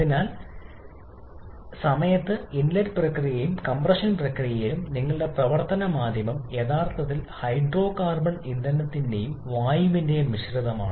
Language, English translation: Malayalam, So, during the inlet process and also during the compression process your working medium is actually a mixture of hydrocarbon fuel and air